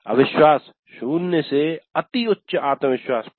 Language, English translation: Hindi, No confidence 0 to very high confidence 5